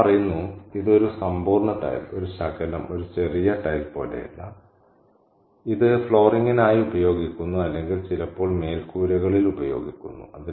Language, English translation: Malayalam, And she says, and it's not a, you know, it's not even a complete tile, a fragment, a bit of tile that's used for perhaps for flooring or sometimes used in roofs